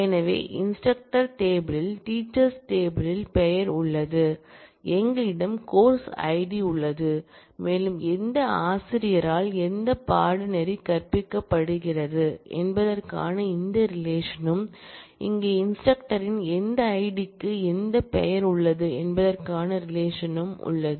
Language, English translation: Tamil, So, in the instructor table we have the name in the teachers table, we have the course id and also this relationship as to which course is taught by which teacher and here, we have the relationship between which id of the instructor has which name